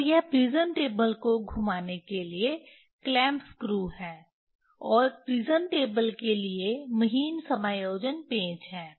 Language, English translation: Hindi, And this is clamp screw for prism table rotation and fine adjustment screws for the prism table